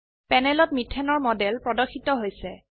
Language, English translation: Assamese, A model of methane appears on the panel